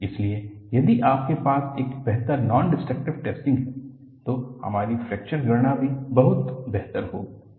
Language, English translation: Hindi, So, if you have a better nondestructive testing, even our fracture calculation would be much better